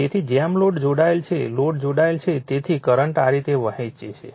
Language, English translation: Gujarati, So, as load is connected load is load is connected therefore, the current will be flowing like this